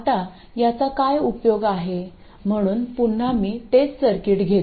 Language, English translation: Marathi, So let's say again I take the same circuit